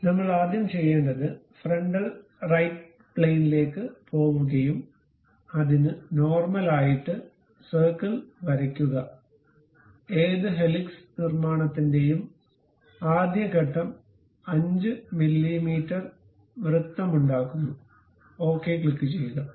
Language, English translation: Malayalam, So, the first thing what we have to do is go to frontal right plane normal to that draw a circle, the first step for any helix construction is making a circle 5 mm, click ok